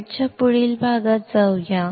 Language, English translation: Marathi, Let us go to the next part of the slide